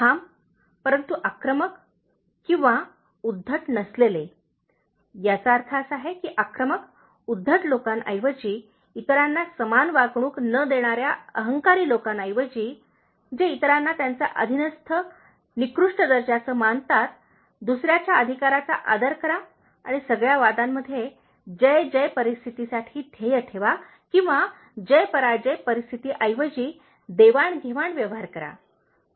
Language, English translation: Marathi, Being assertive, but not aggressive or arrogant, this means, instead of the aggressive, arrogant people who don’t treat others equally, who treat others as their subordinates, inferiors, give respect to others’ right and aim for a win win situation in all arguments or all give and take transactions instead of a win lose kind of situation